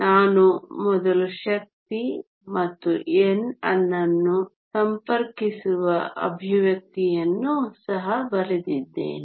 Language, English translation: Kannada, We also wrote an expression earlier connecting energy and n